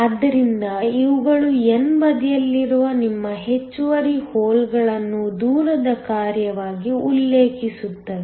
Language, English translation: Kannada, So, these refers to your extra holes on the n side as the function of distance